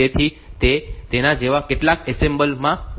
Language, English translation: Gujarati, So, that is identified in some assemblers like that